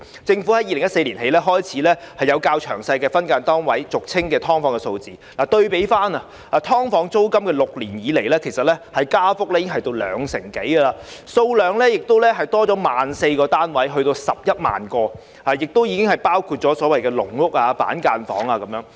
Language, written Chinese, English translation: Cantonese, 政府在2014年起，開始備存較詳細的分間單位的數字，對比過去6年，"劏房"租金加幅已有兩成多，單位數量亦增加 14,000 個至11萬個，當中包括所謂的"籠屋"、板間房。, Since 2014 the Government has started to maintain more detailed statistics on SDUs . In the past six years the rent level of SDUs has increased by more than 20 % and the number of SDUs has also increased by 14 000 to 110 000 including the so - called caged homes and cubicle apartments